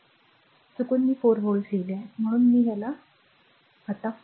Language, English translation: Marathi, So, by mistake I wrote 4 volt so, it is your what you call this